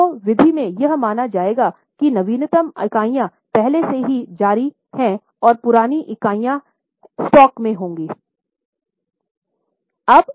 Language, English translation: Hindi, In LIFO method, it will be assumed that the latest units are already issued and older units will be there in the stock